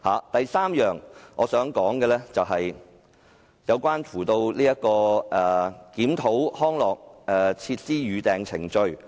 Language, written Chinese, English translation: Cantonese, 第三，是關於陳淑莊議員的修正案建議，檢討康樂設施的預訂程序。, Third it is about Ms Tanya CHANs amendment which proposes to review the booking procedure for recreation and sports facilities